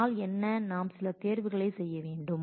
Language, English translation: Tamil, So, what we do we just need to do some selection